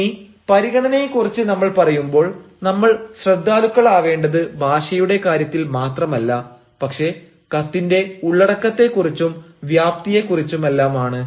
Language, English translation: Malayalam, so when we talk about consideration, we have to be considerate, not only above the language, but also about the content, about the length